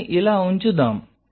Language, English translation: Telugu, So, let us put it like this